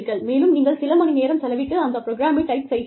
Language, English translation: Tamil, And, you spend hours, typing a program